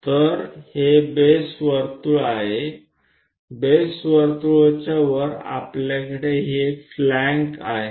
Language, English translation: Marathi, So, this is that base circle, above base circle, we have these flanks